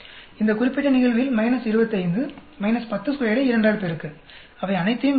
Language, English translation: Tamil, In this particular case minus 25, minus 10 square multiply by 2 add up all of them